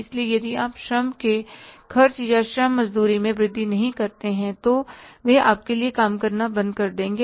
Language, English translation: Hindi, So, if you don't increase the labor's expenses or labor wages, they'll stop working for you